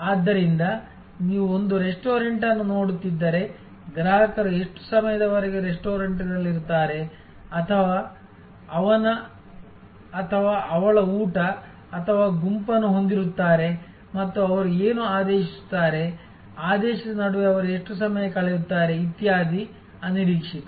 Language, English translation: Kannada, So, if you are looking at a, say restaurant, then how long a customer will be in the restaurant, having his or her meal or the group and what all they will order, how long they will spend between ordering, etc, these are unpredictable